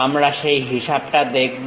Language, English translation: Bengali, We will see that calculation